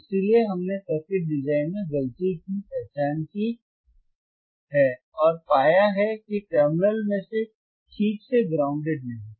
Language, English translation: Hindi, Ah s So we have identified the mistake in the in the circuit design and what we found is that one of the terminal was not properly grounded alright